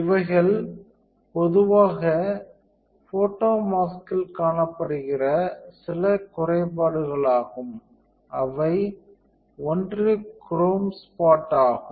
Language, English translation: Tamil, These are some of the defects that are available that are generally you know observed in a photo mask, one is a chrome spot